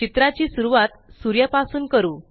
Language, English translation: Marathi, Let us begin by drawing the sun